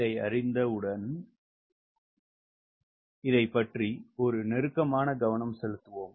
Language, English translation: Tamil, once i know this, lets have a closer attention to this